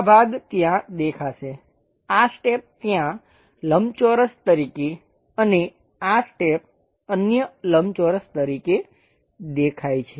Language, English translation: Gujarati, This part will be visible there, this step will be visible there as a rectangle and this step visible as another rectangle